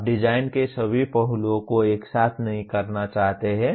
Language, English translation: Hindi, You do not want to approach all aspects of the design simultaneously